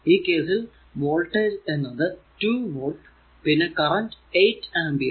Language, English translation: Malayalam, So, in this case it is 2 volt and 8 ampere